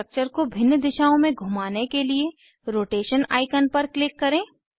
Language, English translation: Hindi, Click on the Rotation icon to rotate the structure in various directions